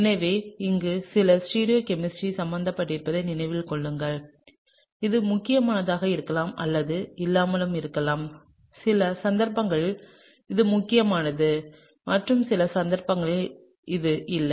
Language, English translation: Tamil, So, keep in mind that there is some stereochemistry involved over here, this may or may not be important, in certain cases it’s important and in certain cases it’s not